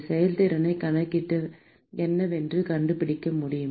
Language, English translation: Tamil, Can I calculate the efficiency and find out what